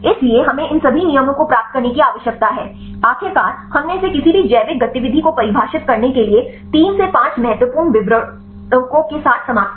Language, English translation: Hindi, So, we need to get all these rules then finally, we ended up with the 3 to 5 important descriptors to define this any biological activity